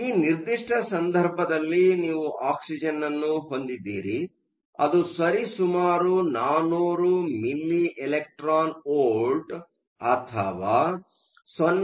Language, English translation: Kannada, So, in this particular case, you have oxygen that is located approximately 400 milli electron volts or 0